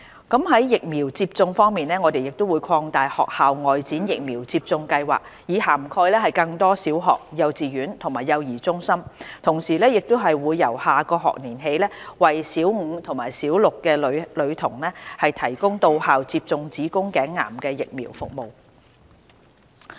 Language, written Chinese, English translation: Cantonese, 在疫苗接種方面，我們會擴大"學校外展疫苗接種計劃"以涵蓋更多小學、幼稚園及幼兒中心；同時亦會由下學年起為小五及小六女童提供到校接種子宮頸癌疫苗服務。, Regarding vaccination we will extend the School Outreach Vaccination Programme to cover more primary schools kindergartens and child care centres . At the same time we will provide school girls in Primary Five and Primary Six with cervical cancer vaccination service in schools commencing from the next academic year